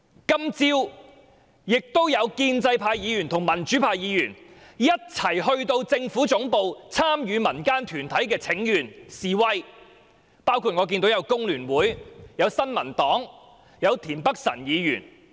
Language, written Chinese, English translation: Cantonese, 今天早上亦有建制派和民主派議員一同前往政府總部參與民間團體的請願和示威，包括香港工會聯合會、新民黨和田北辰議員。, This morning some Members from the pro - establishment and democratic camps including the Hong Kong Federation of Trade Unions the New Peoples Party and Mr Michael TIEN went to the Government Headquarters to participate in the petition and demonstration staged by community groups